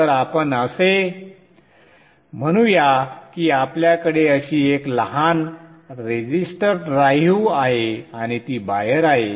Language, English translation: Marathi, So let us say we have a small register drive like this and I bring that out